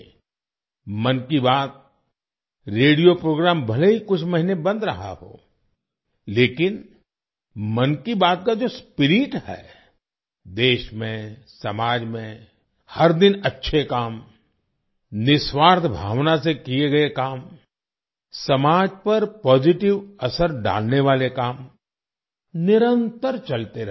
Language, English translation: Hindi, The ‘Mann Ki Baat’ radio program may have been paused for a few months, but the spirit of ‘Mann Ki Baat’ in the country and society, touching upon the good work done every day, work done with selfless spirit, work having a positive impact on the society – carried on relentlessly